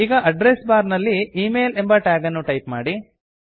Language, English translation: Kannada, Now, in the Address bar, type the tag, email